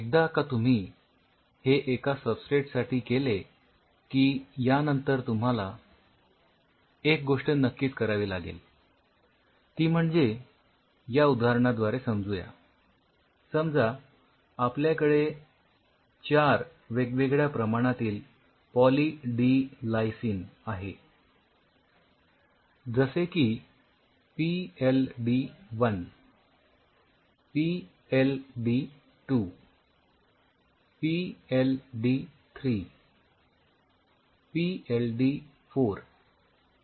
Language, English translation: Marathi, Once you have done this with one substrate the next thing comes you have to now really take this say for example, I have 4 different concentration of Poly D Lysine PLD1 PLD2 PLD3 PLD4